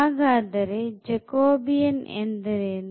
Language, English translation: Kannada, So, what is this Jacobian here